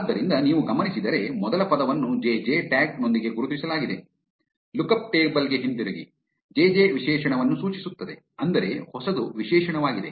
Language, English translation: Kannada, So if you notice, the first word is marked with the tag jj, going back to the lookup table, jj refers to an adjective, which means new is an adjective